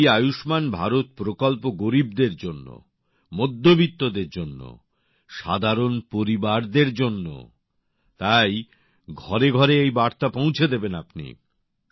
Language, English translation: Bengali, This Ayushman Bharat scheme, it is for the poor, it is for the middle class, it is for the common families, so this information must be conveyed to every house by You